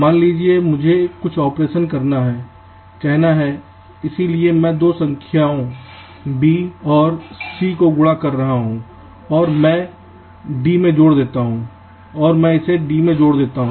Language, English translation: Hindi, suppose i have a, some operation to do, say so, i am multiplying two numbers, b and c, and i added to d